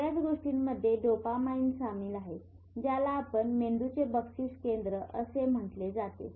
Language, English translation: Marathi, Dopamine is involved in lot of things which you call the reward center of the brain